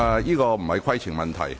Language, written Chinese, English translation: Cantonese, 這並非規程問題。, This is not a point of order